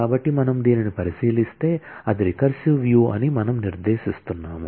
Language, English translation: Telugu, So, if we look into this, we are specifying that is a recursive view